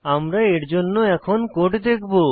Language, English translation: Bengali, We will see the code for this now